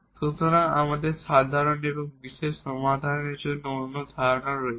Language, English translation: Bengali, So, we have the other concept of the general and the particular solution